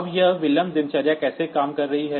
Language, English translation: Hindi, Now, how this delay routine is working